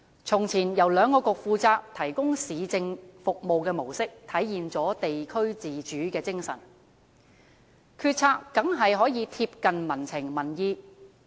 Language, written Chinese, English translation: Cantonese, 從前由兩局負責提供市政服務的模式，體現了地區自主的精神，決策當然可以貼近民情民意。, The previous models in which municipal services were provided by the two Municipal Councils manifested the spirit of district autonomy